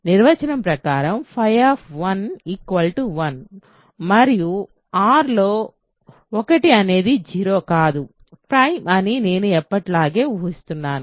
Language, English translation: Telugu, By definition, phi of 1 is 1 and I am assuming as always that 1 is not 0 in R not prime ok